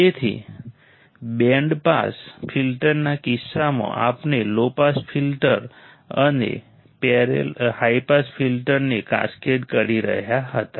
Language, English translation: Gujarati, So, in case of band pass filter we were cascading low pass filter and high pass filter